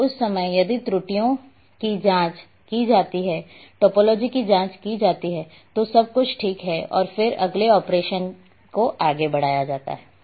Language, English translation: Hindi, So, at that time if errors are checked, topology is checked, everything is ok then moved further next operation